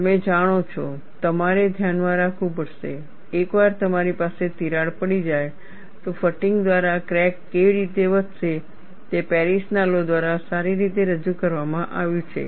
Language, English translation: Gujarati, You know, you will have to keep in mind, once you have a crack, how the crack would grow by fatigue is well represented by Paris law